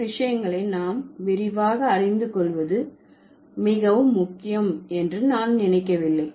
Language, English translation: Tamil, I don't think there is much important for us to know these things in detail